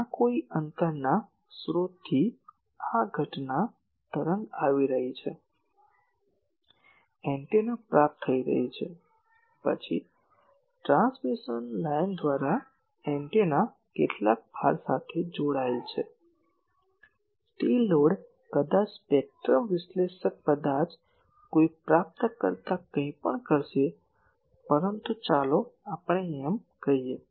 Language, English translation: Gujarati, These are the incident wave from some distance source this is coming, the antenna is receiving, then through a transmission line the antenna will be connected to some load, that load maybe a spectrum analyzer maybe a receiver anything, but let us say so